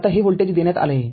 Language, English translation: Marathi, Now, this voltage is given